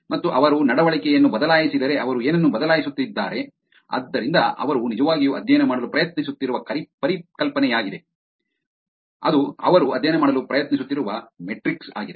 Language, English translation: Kannada, And if they change the behavior what are they changing, so that is the concept that they were actually trying to study, that is the metrics that they were trying to study